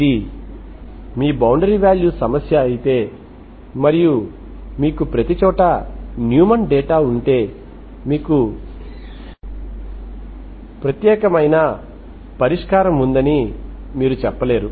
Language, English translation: Telugu, If this is your boundary value problem, if you have a Neumann data everywhere, so you cannot say that you have a unique solution